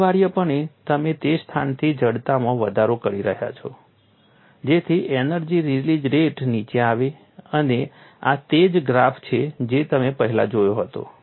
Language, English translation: Gujarati, Essentially you have increase in the stiffness in that location so that the energy release rate comes down and this is the same graph that you had seen earlier